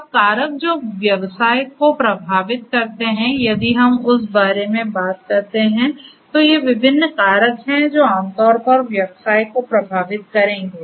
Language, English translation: Hindi, Now, the factors that affect business, if we talk about that, so these are the different factors that will typically affect the business